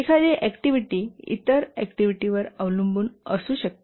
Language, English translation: Marathi, An activity may depend on other activities